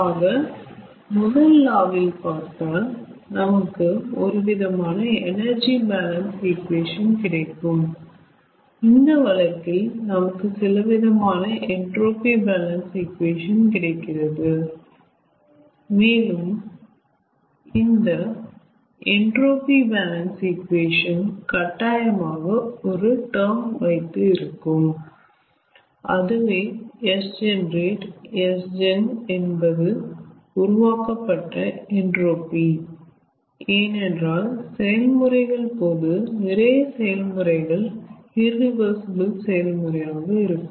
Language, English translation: Tamil, so you see, in first law, as we have got some sort of energy balance equation, in this case we are getting some sort of entropy balance equation, and this entropy balance equation essentially will contain one term which is called s generate s gen, that is, entropy generated because during the processes, most of the processes, because most of the processes are irreversible process